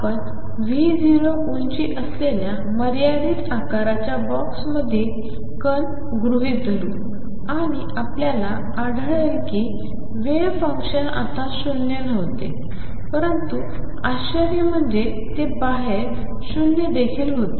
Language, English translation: Marathi, We had considered particle in a finite size box height being V 0 and what we found is that the wave function was non zero inside, but interestingly it also was non zero outside